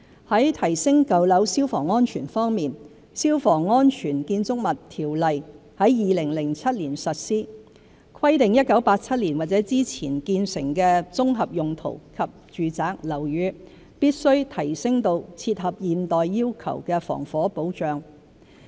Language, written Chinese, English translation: Cantonese, 在提升舊樓消防安全方面，《消防安全條例》在2007年實施，規定1987年或之前建成的綜合用途及住宅樓宇，必須提升至切合現代要求的防火保障。, On enhancing the fire safety standards of old buildings the Fire Safety Buildings Ordinance which came into operation in 2007 stipulates that the fire safety standards of composite and domestic buildings constructed in or before 1987 must be enhanced to better meet the requirements of the day